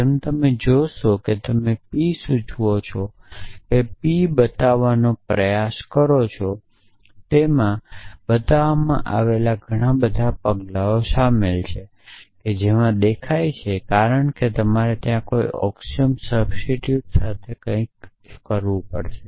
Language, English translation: Gujarati, As you will see if you try to show that p implies p it involves a lot of steps in showing that p implies see because you have to start with some axiom substitute something for there